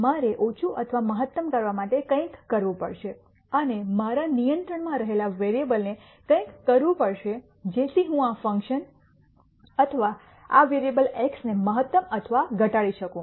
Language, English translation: Gujarati, I have to do something to minimize or maximize and the variables that are in my control so that I can maximize or minimize this function or these variables x